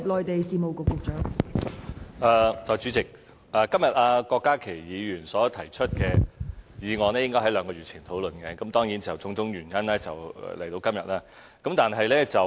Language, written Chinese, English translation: Cantonese, 代理主席，今天郭家麒議員所提出的議案，本應該在兩個月前討論，但因為種種原因，到今天才討論。, Deputy President the motion raised by Dr KWOK Ka - ki today should have been discussed two months ago but the discussion is somehow delayed till today